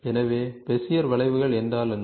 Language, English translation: Tamil, So, what is Bezier curves